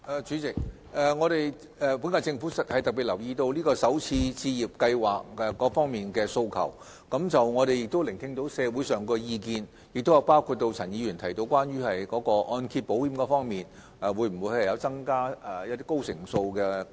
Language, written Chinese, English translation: Cantonese, 主席，本屆政府特別留意有關首次置業先導計劃各方面的訴求，我們亦聆聽了社會上的意見，包括陳議員提到會否增加按保計劃的按揭成數。, President the current - term Government has paid special attention to various demands concerning the pilot scheme for first - time home buyers and we have listened to the views of society including whether the LTV ratio under MIP can be raised as pointed out by Mr CHAN